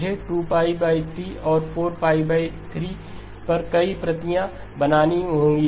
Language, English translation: Hindi, I would have to create multiple copies at 2pi by 3 and 4pi by 3